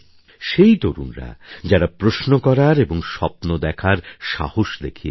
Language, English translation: Bengali, Those youth who have dared to ask questions and have had the courage to dream big